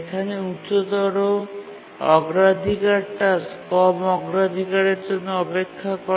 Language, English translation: Bengali, Because a high priority task cannot cause inversion to a low priority task